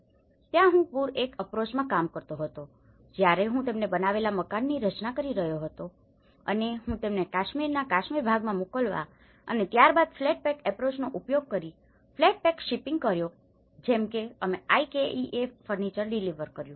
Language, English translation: Gujarati, So, there I was working in the flood pack approaches where I was designing the houses getting them made and where I was sending them, to shipping them to the Kashmir part of Kashmir and then shipping flat pack up using the flat pack approaches like we delivered the IKEA furniture